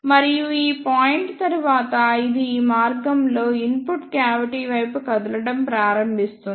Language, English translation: Telugu, And after this point, it will start moving towards the input cavity in this path